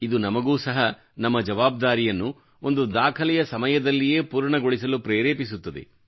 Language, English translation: Kannada, This also inspires us to accomplish our responsibilities within a record time